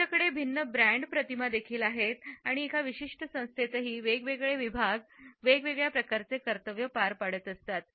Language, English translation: Marathi, They also have different brand images and even within a particular organization we find that different segments perform different type of duties